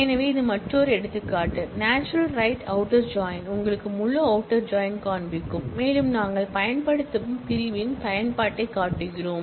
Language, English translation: Tamil, So, this is another example, showing you the natural right outer join, this is you, showing you full outer join and we are showing the use of the using clause